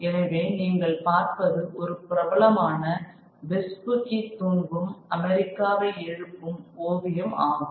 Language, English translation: Tamil, So this is a famous, what you see is a famous painting of America, Amerigo Vespici awakening the sleeping America